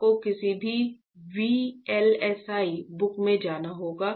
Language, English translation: Hindi, You have to go to any VLSI book